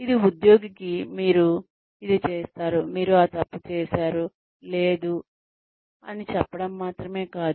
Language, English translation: Telugu, It is not only telling the employee, you did this right, you did that wrong, no